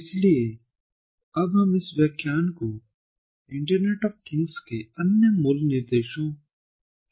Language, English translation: Hindi, ok, so now we are going to continue in this lecture with the other basic instructions, basics of internet of things